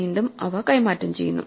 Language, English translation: Malayalam, So, again we exchange these